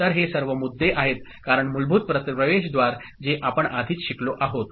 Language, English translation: Marathi, So, all those issues are there, because the basic gates we have already learned